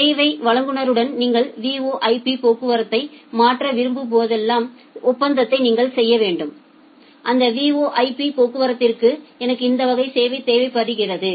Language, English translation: Tamil, With the service provider you have to make an agreement that well I want to transfer the VoIP traffic, for that VoIP traffic I require this class of service